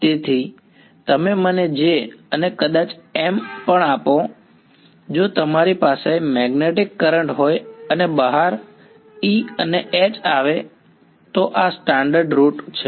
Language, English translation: Gujarati, So, you give me J and maybe even M if you have a magnetic current and out comes E and H this is a standard route